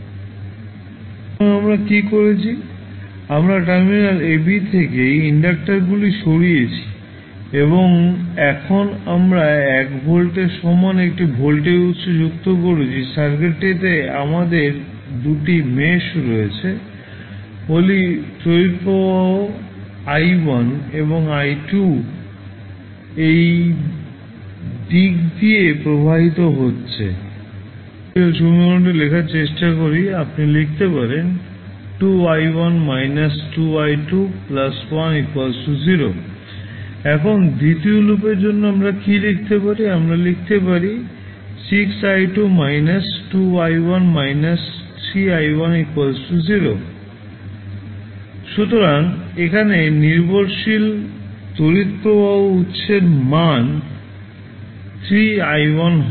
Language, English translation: Bengali, So, what we have done we have remove the inductor from terminal AB and we added one voltage source equal to 1 volt now, we have two meshes in the circuit, let say the current I1 and I2 is flowing in this direction both are in the same direction so, let us try to write the KVL equation for both of the meshes in this case, you can write, 2 I1 minus I2 because I1 I2 will be in different direction here, so this would be the I1 and this would be the direction of I2